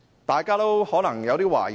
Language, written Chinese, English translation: Cantonese, 大家可能有點疑惑。, One may be a little perplexed